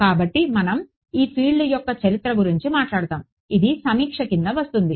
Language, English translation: Telugu, So, we will talk about the history of this field which comes under the overview right